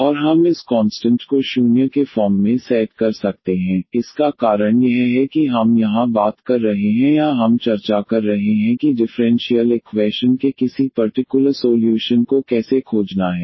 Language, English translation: Hindi, And we can set this constant of integration as 0, the reason is because we are talking about here or we are discussing how to find a particular solution of the differential equation